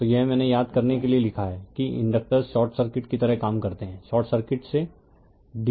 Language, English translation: Hindi, So, this is I have written for you recall that inductors act like short circuit short circuit to dc right